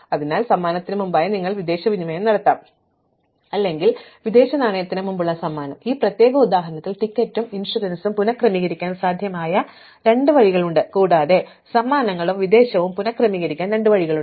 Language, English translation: Malayalam, So, you could do the foreign exchange before the gift or the gift before the foreign exchange, so there are, in this particular example there are two possible ways of reordering the ticket and the insurance and there are two possible ways of reordering the gifts and the foreign exchange